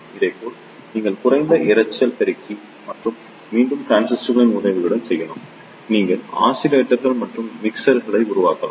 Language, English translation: Tamil, Similarly, you can also make low noise amplifier and gain with the help of transistors, you can make oscillators and mixers